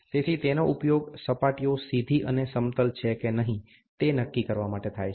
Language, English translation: Gujarati, So, are used to determine the straightness, flatness of surfaces